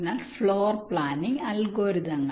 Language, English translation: Malayalam, ok, so, floor planning algorithms